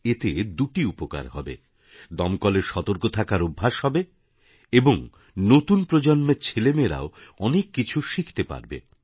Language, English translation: Bengali, This will have a dual benefit the fire brigade will undergo an exercise in readiness and the new generation will get lessons in alertness